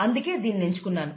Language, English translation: Telugu, That is why this is chosen